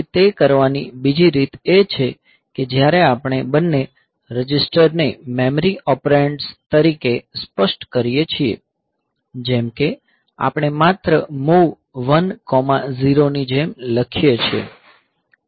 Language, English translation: Gujarati, Then another way of doing it is when we are specify both the registers as memory operands; like we simply write like move 1 comma 0